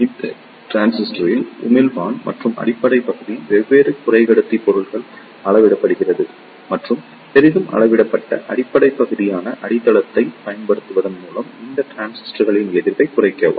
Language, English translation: Tamil, In this transistor, the emitter and base region are doped by different semiconductor materials and by using heavily doped base region, the base resistance of these transistors can be reduced